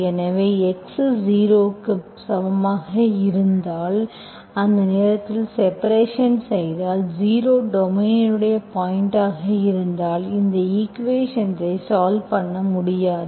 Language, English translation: Tamil, So if x equal to 0, at that point if I divide, if it is, if zero is a point of the domain, I cannot solve this equation